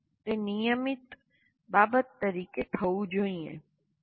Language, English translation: Gujarati, But it should be done as a matter of routine